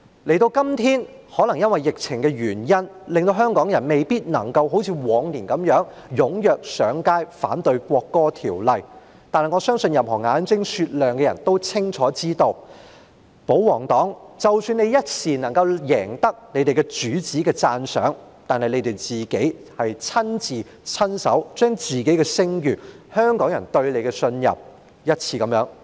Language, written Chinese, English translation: Cantonese, 時至今日，可能由於疫情的原因，令香港人未必能夠像以往般踴躍上街，反對《條例草案》，但我相信任何眼睛雪亮的人都清楚知道，即使保皇黨這一刻能夠贏得他們主子的讚賞，但他們卻是一次又一次地，親手摧毀自己的聲譽，以及香港人對他們的信任。, Nowadays perhaps due to the epidemic it might not be possible for Hongkongers to take to the streets as actively as they did in the past to express their opposition against the Bill . That said I believe that anyone with a discerning eye would see clearly that even if the pro - Government camp can win the appreciation of their master at this moment they have actually destroyed their reputation as well as Hongkongers trust in them with their own hands once and again